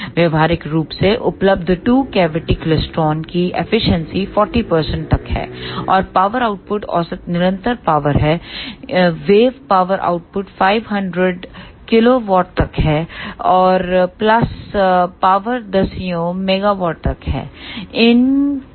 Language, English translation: Hindi, The efficiency of practically available two cavity klystron in up to 40 percent; and the power outputs are average continuous wave power output is up to 500 kilo volt and pulsed power is up to tens of megawatt